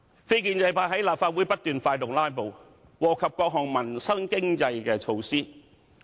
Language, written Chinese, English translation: Cantonese, 非建制派在立法會不斷發動"拉布"，禍及各項民生及經濟措施。, Non - establishment Members incessant filibustering in the Legislative Council has jeopardized various livelihood and economic measures